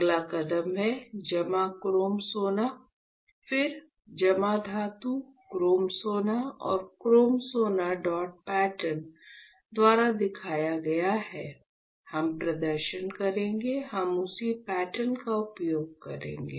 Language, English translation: Hindi, The next step is, that you deposit chrome gold, again you deposit metal, chrome gold right; and since chrome gold is shown by dot pattern will perform we will use the same pattern ok